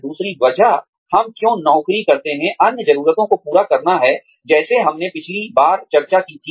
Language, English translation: Hindi, The other reason, why we take up jobs, is to fulfil other needs, like we discussed, last time